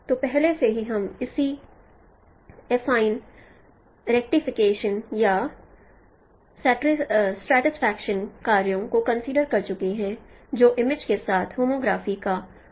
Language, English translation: Hindi, So already we have considered the corresponding, no, affine rectification or stratification tasks that is involved in the using the homography with the images